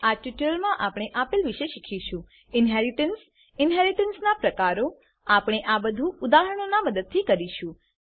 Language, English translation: Gujarati, In this tutorial we will learn, Inheritance Types of inheritance We will do this with the help of examples